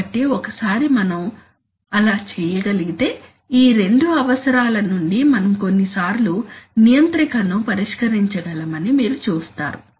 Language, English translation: Telugu, So once we can do that then you see we can, you can sometimes from these two requirements, we can solve out the controller, right